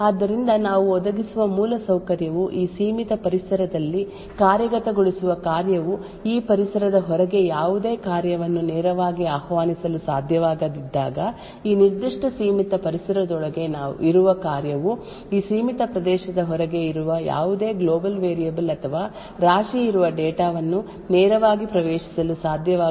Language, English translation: Kannada, So the infrastructure that we provide would ensure that when a function that a function executing in this confined environment cannot directly invoke any function outside this environment, similarly a function present inside this particular confined environment would not be able to directly access any global variable or heap data present outside this confined area